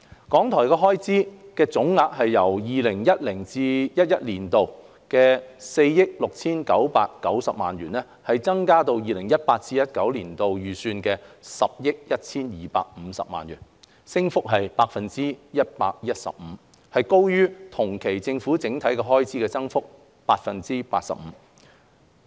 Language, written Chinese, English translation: Cantonese, 港台的開支總額由 2010-2011 年度的4億 6,990 萬元增加至 2018-2019 年度預算的10億 1,250 萬元，升幅達 115%， 高於同期政府整體的開支增幅的 85%。, RTHKs expenditure rose from 469,900,000 in 2010 - 2011 to an estimated 1,012,500,000 in 2018 - 2019 representing an increase by 115 % . This is higher than the overall increase by 85 % in the Governments expenditure for the same period